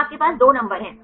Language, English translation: Hindi, So, you have the two numbers